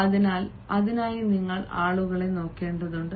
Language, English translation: Malayalam, so for that you need to look at the people